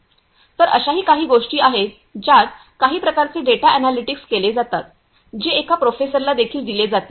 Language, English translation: Marathi, So, also there are some other things like some sort of data analytics is performed which will also be give sent to a professor